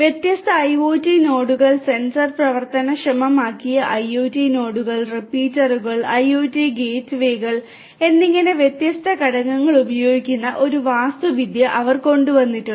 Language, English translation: Malayalam, And they have come up with an architecture which uses different components such as the different IoT nodes the sensor enabled IoT nodes the repeaters IoT gateways and so on